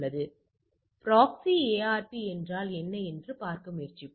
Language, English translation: Tamil, So, let us try to see what is a proxy ARP